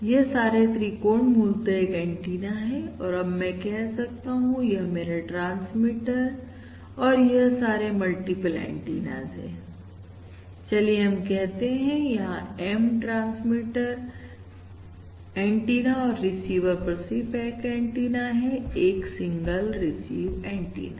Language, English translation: Hindi, So each of these triangles is basically an antenna and what I am saying is, for instance, this is my transmitter and there are multiple antennas let us say M transmit antennas and there is a single antenna at the receiver, a single receive antenna, For instance